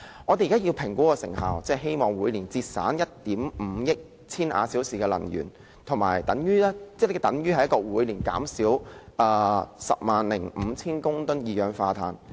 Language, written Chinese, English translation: Cantonese, 我們現時要評估成效，希望每年節省1億 5,000 萬千瓦小時的能源，等於每年減少 105,000 公噸二氧化碳。, We must assess the effectiveness now in the hope that we can achieve an annual energy saving of 150 million kWh which is equivalent to an annual reduction of carbon dioxide emissions of 105 000 tonnes